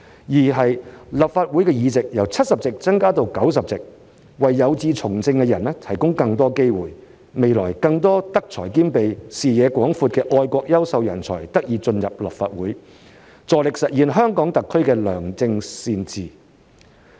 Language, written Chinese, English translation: Cantonese, 二，立法會議席由70席增至90席，為有志從政的人提供更多機會，未來更多德才兼備、視野廣闊的愛國優秀人才得以進入立法會，助力實現香港特區的良政善治。, Second as the Legislative Council is expanded from 70 to 90 seats it will provide more opportunities for individuals with political aspirations . In the future more patriotic and talented people with integrity and broad vision will be able to join the Legislative Council thus facilitating the realization of good governance in SAR